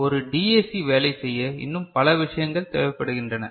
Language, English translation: Tamil, There are more things that are required for a DAC to work